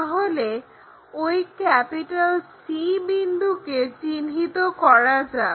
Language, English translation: Bengali, So, locate that c point